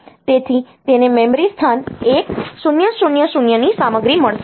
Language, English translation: Gujarati, So, it will get the content of memory location 1000